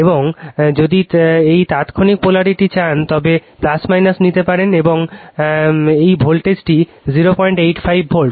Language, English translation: Bengali, And if you want this instantaneous polarity, you can take plus minus, and this voltage is 0